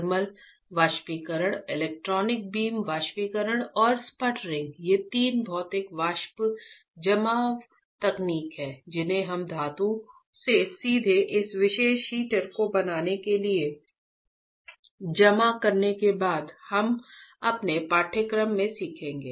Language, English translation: Hindi, Thermally Evaporation, Electron Beam Evaporation and Sputtering, these three are physical vapor deposition techniques that we will be learning in our course right after metal you deposit right from metal to fabricating this particular heater